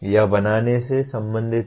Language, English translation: Hindi, This is related to creating